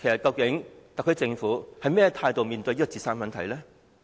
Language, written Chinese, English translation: Cantonese, 究竟特區政府以甚麼態度面對青年自殺的問題呢？, What attitude has the SAR Government taken to tackle youth suicides?